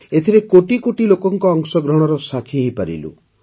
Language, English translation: Odia, We are all witness to the participation of crores of people in them